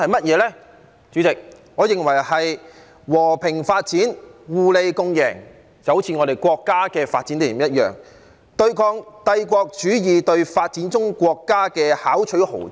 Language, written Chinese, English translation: Cantonese, 代理主席，我認為是和平發展、互利共贏，就好像我們國家的發展理念一樣，對抗帝國主義對發展中國家的巧取豪奪。, Deputy President I think it is peaceful development a win - win situation to achieve mutual benefits just like our countrys development philosophy to fight against the exploitation of developing countries by imperialism